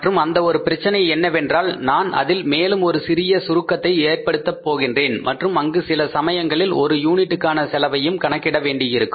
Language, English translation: Tamil, And that one more problem will be that I will add up little more wrinkle into that and there sometimes we will have to calculate the per unit cost also